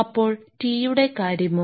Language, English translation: Malayalam, So, your what about the t